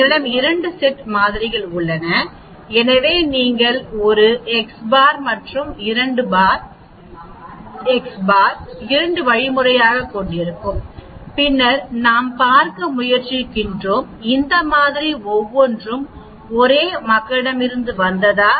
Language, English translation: Tamil, We have 2 sets of samples, so you will have a x one bar and x two bar that is two means and then we are trying to see whether each of this sample means comes from the same population or they come from different population